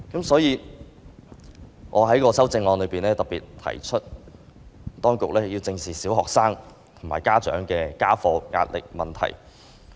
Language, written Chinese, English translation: Cantonese, 所以，我在修正案特別提出，當局要正視小學生及家長的家課壓力問題。, For this reason I particularly propose in my amendment that the authorities need to address squarely the problem of homework pressure on primary students and their parents